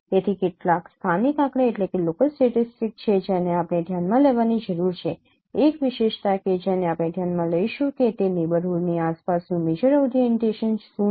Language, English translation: Gujarati, So there are some local statistics that we need to consider one of the attribute that would be considering that what is the major orientation around that neighborhood